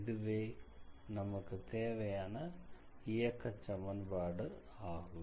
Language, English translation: Tamil, So, this is the required equation of the motion of the file